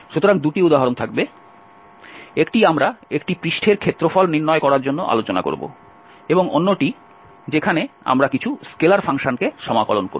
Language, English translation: Bengali, So, there will be two examples, one we will discuss to find the area of a surface and the other one where we will integrate some scalar function